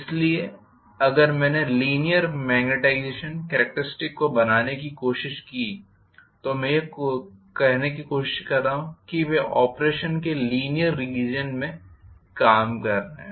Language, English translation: Hindi, So, if I tried to plot magnetization characteristics, I am trying to say that they are mainly operating in the linear region of operation